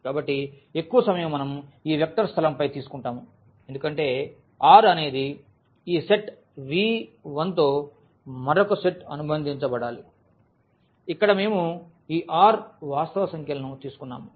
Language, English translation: Telugu, So, most of the time we will take this vector space over this R because with this set V 1 another set must be associated which we have taken here this R set of real numbers